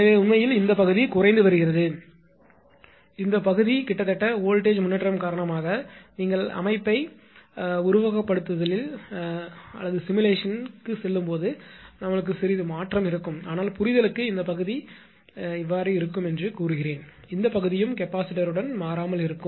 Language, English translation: Tamil, So, in the actually this part is getting decreased but this part almost not change but because of the voltage improvement there will be if you go through computer simulation you will find there will be slight change but for the our understanding say this part remain constant; this part also remain constant with capacitor also